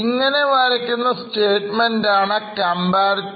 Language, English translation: Malayalam, So, what we prepare is known as a comparative statement